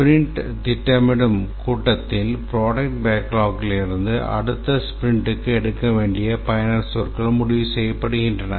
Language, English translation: Tamil, In the sprint planning ceremony, the user story is to be taken up for the next sprint from the product backlog is decided